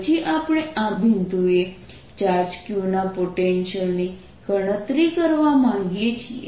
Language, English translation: Gujarati, then we wish to calculate the potential of this charge q at this point